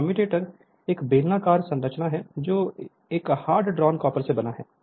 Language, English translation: Hindi, A commutator is a cylindrical structure built up of segments made up of hard drawn copper